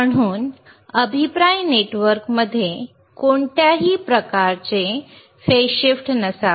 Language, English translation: Marathi, So, feedback network should not have any kind of phase shift right,